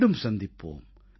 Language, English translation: Tamil, I shall be meeting you later